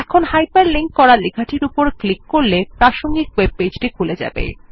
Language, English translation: Bengali, Now clicking on the hyper linked text takes you to the relevant web page